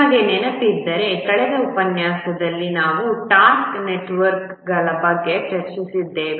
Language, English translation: Kannada, If you remember in the last lecture we had discussed about task networks